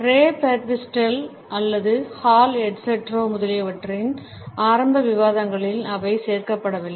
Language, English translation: Tamil, They were not included in the initial discussions of Ray Birdwhistell or Hall etcetera